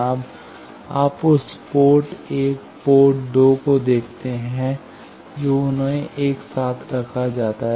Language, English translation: Hindi, Now you see that port 1 and port 2 they are put together